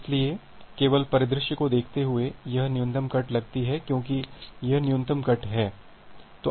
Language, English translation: Hindi, So, just by looking into the scenario, this seems to be the minimum cut because this is the minimum cut